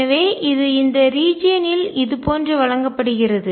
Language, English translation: Tamil, So, in this region which is given like this